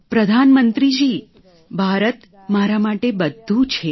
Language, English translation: Gujarati, Prime minister ji, India means everything to me